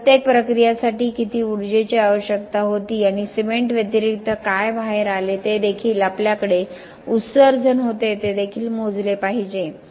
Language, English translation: Marathi, How much of energy was required for each of this process and what came out in addition to the cement also we had emission that also has to be quantified